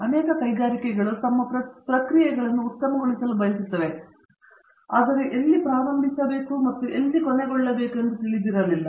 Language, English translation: Kannada, Many industries want to optimize their processes, but did not know where to start and where to end